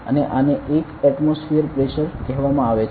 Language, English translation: Gujarati, And this is called 1 atmospheric pressure